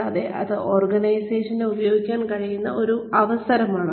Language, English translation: Malayalam, And, that is one opportunity, that organizations can make use of